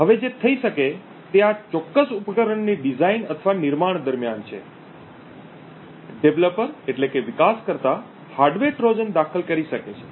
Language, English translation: Gujarati, Now what could happen is during the design or manufacture of this particular device, developer could insert a hardware Trojan